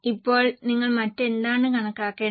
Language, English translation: Malayalam, Now what else you are required to calculate